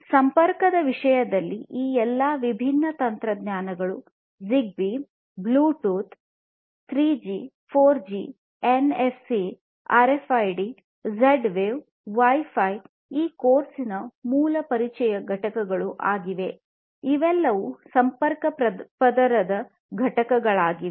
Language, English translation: Kannada, And in terms of connectivity all these different technologies ZigBee, Bluetooth, 3G, 4G, NFC, RFID Z Wave, Wi Fi; all of these different things that we have talked about in the past, in the basic introduction component of this course all of these are basically constituents of the connectivity layer